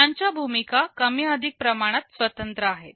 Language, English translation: Marathi, Their role is more or less independent of each other